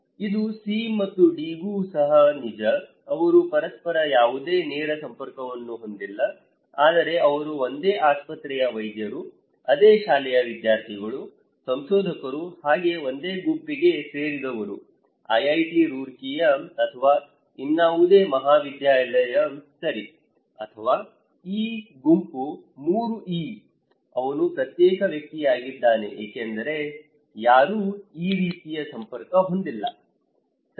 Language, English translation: Kannada, It is also true for C and D, they do not have any direct contact with each other, but they belong to one group like a doctor in a same hospital, students in the same school, researchers in IIT Roorkee or any other Institute okay, or this group 3E, he is an isolated person because no one has this kind of network, okay